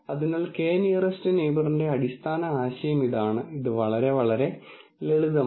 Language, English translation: Malayalam, So, this is the basic idea of k nearest neighbor, so very very simple